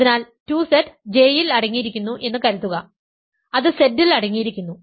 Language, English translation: Malayalam, So, 4Z is contained in 2Z, but 2Z contains 2, 4Z does not contain 2